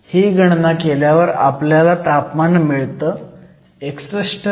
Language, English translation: Marathi, So, the temperature gives calculation gives you a temperature of 61